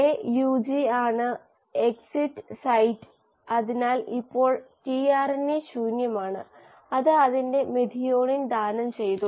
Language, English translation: Malayalam, AUG is the exit site, so now the tRNA is empty; it has donated its methionine